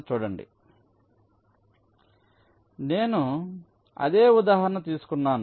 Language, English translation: Telugu, so the same example i take